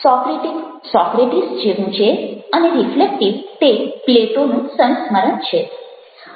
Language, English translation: Gujarati, socratic is akin to socrates and the reflective is reminiscent of plato